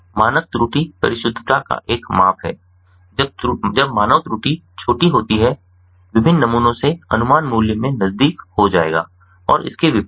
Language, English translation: Hindi, when the standard error is small, the estimates from the different samples will be closed in value and vice versa